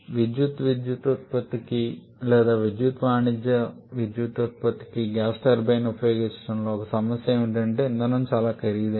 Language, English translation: Telugu, One problem with electrical power generation or using gas turbine for electric commercial power generation is that the fuel can be very costly